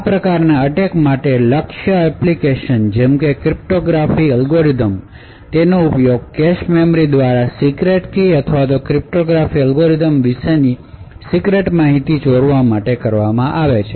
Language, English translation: Gujarati, For these forms of attacks target application such as cryptographic algorithms and have been used to steal secret keys or secret information about the cryptographic algorithm through the cache memory